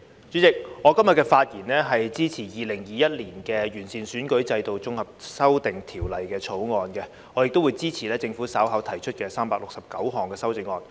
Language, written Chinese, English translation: Cantonese, 主席，我今天的發言是支持《2021年完善選舉制度條例草案》，我亦會支持政府稍後提出的369項修正案。, President I speak today in support of the Improving Electoral System Bill 2021 the Bill and I will also support the 369 amendments to be moved by the Government later